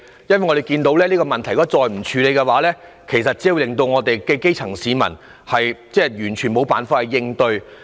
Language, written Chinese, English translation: Cantonese, 如果這問題再不處理，只會令基層市民完全無法應對。, If this problem is not addressed there is no way out for the grass roots at all